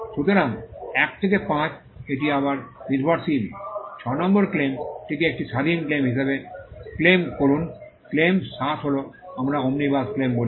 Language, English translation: Bengali, So, 1 to 5, it is again dependent; claim 6 as an independent claim, claim 7 is an what we call an Omnibus claim